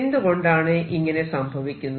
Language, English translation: Malayalam, And why does that happen